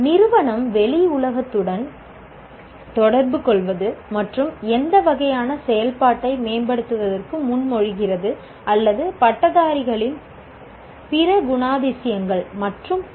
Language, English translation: Tamil, How is the institute interacting with the world outside and what kind of activity it is proposing to improve or other characteristics of graduates and so on and on